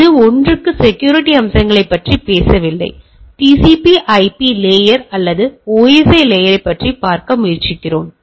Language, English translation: Tamil, Now we see the TCP/IP layer or OSI layer per se does not talk about the security aspects